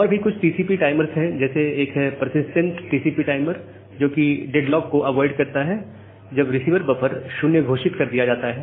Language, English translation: Hindi, So, there are other TCP timers like this persistent TCP timer, which avoid deadlock when receiver buffer is announced as 0